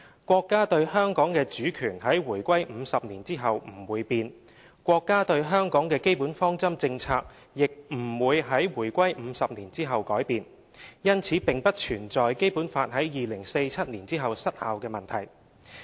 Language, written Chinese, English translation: Cantonese, 國家對香港的主權在回歸50年後不會變，國家對香港的基本方針政策亦不會在回歸50年後改變，因此並不存在《基本法》在2047年後失效的問題。, The Countrys sovereignty over Hong Kong will not change 50 years after Hong Kongs return to the Motherland nor will the Country change its basic policies towards Hong Kong after 50 years . Hence there is no question of the expiry of the Basic Law after 2047